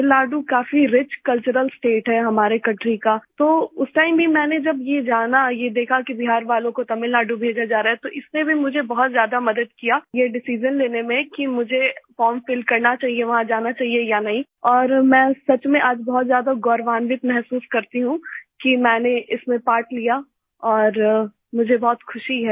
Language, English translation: Hindi, Tamil Nadu is a very rich cultural state of our country, so even at that time when I came to know and saw that people from Bihar were being sent to Tamil Nadu, it also helped me a lot in taking the decision that I should fill the form and whether to go there or not